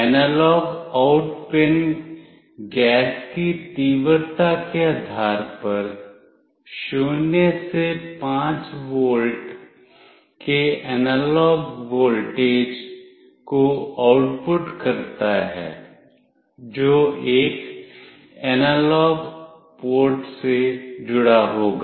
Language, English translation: Hindi, The analog out pin outputs 0 to 5 volt analog voltage based on the intensity of the gas, which will be connected to an analog port